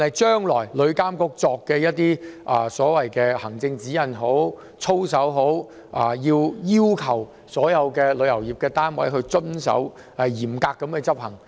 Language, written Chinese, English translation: Cantonese, 對旅監局將來制訂的行政指引、操守，當局須要求所有旅遊業單位嚴格遵守。, The authorities should also require all units related to the travel industry to strictly abide by the administrative guidelines and codes of conduct formulated by TIA in the future